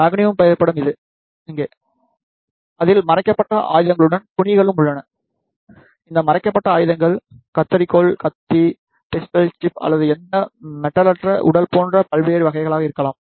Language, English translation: Tamil, Here is the photograph of the mannequin; it contains the cloths along with the concealed weapons these concealed weapons could be of various types like scissors knife, pistol chip or any non metallic body